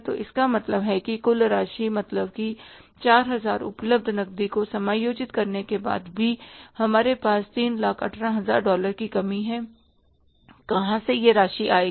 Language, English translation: Hindi, So, it means total amount, means after adjusting the $4,000 cash available also, we have a shortfall of the $318,000 from where that amount will come